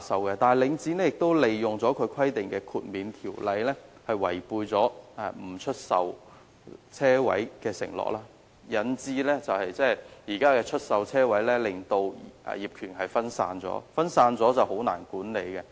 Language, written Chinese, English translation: Cantonese, 可是，領展最後竟利用規定中的豁免條款，違背其不出售車位的承諾，以致現時車位業權分散，變得難以管理。, Regrettably Link REIT eventually exploited the exemption clauses in the requirements to break its promise of not divesting car parks . As a result the ownership of parking spaces becomes fragmented and the management difficult to handle